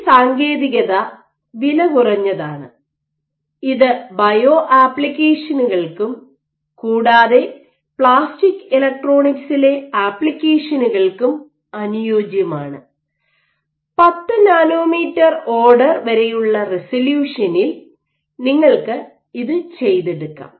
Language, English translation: Malayalam, So, this technique is cheap and it is well suited for bio applications, also is applications in plastic electronics and you can reach resolution up to order 10 nanometers ok